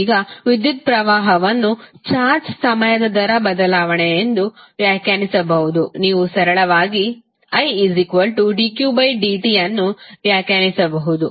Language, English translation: Kannada, Now, since electric current can be defined as the time rate change of charge, you can simply define it as I is equal to dq by dt